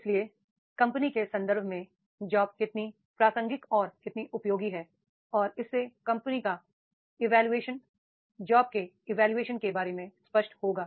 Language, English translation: Hindi, So, if that job in the context of the company is how relevant and how useful is and that will create the companies clear about the job evaluation